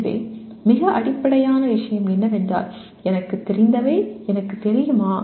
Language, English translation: Tamil, So the most fundamental thing is do I know what I know